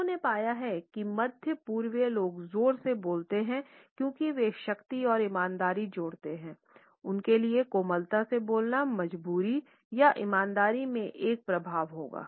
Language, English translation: Hindi, They have found that middle easterners speak loudly because they associate volume with strength and sincerity, speaking softly for them would convey an impression of weakness or in sincerity